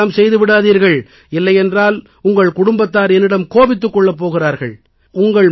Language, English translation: Tamil, Please, do not do that, else your family members will be displeased with me